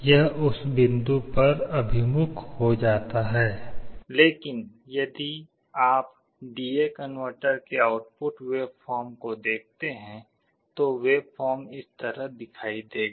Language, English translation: Hindi, It gets converged to that point, but if you look at the output waveform of the D/A converter, the waveform will look like this